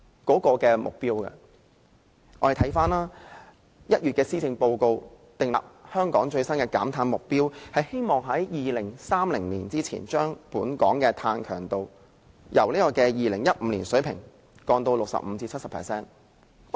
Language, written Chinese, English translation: Cantonese, 今年1月的施政報告訂立了香港最新的減碳目標，希望將香港2030年的碳強度從2005年的水平減低 65% 至 70%。, The Policy Address this January sets out the latest carbon emissions reduction target of Hong Kong that is reducing carbon intensity by 65 % to 70 % by 2030 compared with the 2005 level